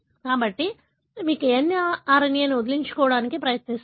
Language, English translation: Telugu, So, you try to get rid of the mRNA